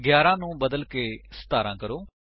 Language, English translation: Punjabi, change 11 to 17